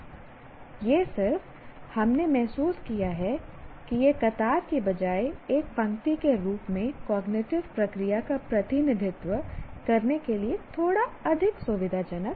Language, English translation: Hindi, It is just we felt it is a little more convenient to represent the cognitive process as a row rather than the column